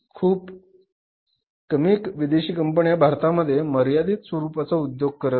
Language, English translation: Marathi, Very few foreign companies were operating in the market but in a very restricted manner